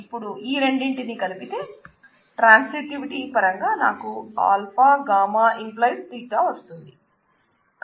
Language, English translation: Telugu, So, if I combine these two in terms of transitivity, I get alpha gamma determining delta